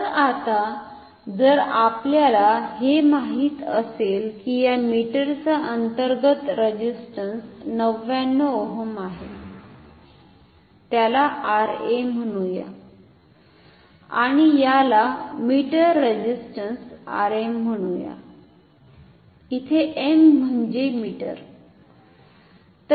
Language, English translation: Marathi, So, now, if we know that the internal resistance of this meter is call this is 99 ohm is given call it R a meter resistance or call it R m, m for meter